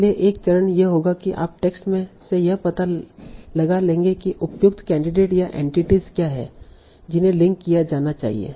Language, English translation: Hindi, So one phase would be you find out from the text what are the appropriate candidates or entities that should be linked